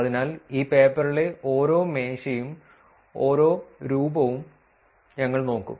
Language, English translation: Malayalam, So, we will look at every table and every figure in this paper